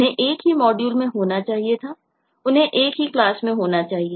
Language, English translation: Hindi, they should have been in the same module, should have been in the same class